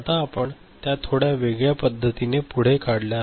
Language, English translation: Marathi, Now, we have redrawn it in a little bit different manner